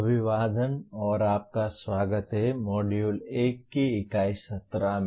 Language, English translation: Hindi, Greetings and welcome to the Unit 17 of Module 1